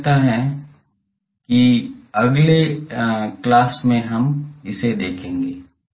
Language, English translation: Hindi, I think the in the next one we will see that the